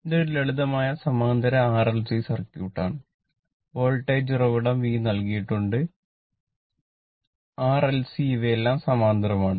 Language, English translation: Malayalam, So, now this is a simple parallel circuit right RLC circuit, voltage source V is given, R, L and C, all these things are parallel